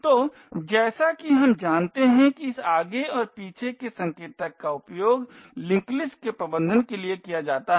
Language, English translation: Hindi, So, as we know this forward and back pointer is used for managing the linked list